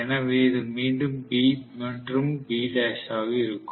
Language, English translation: Tamil, So this is going to be again B and B dash